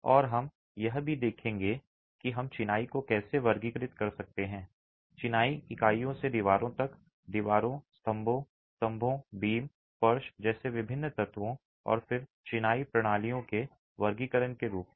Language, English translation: Hindi, And we will also look at how we can classify masonry, right from masonry units to walls, different elements like walls, columns, pillars, beams, floors and then a classification of masonry systems